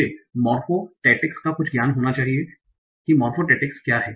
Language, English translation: Hindi, I need to have some knowledge of morphotactics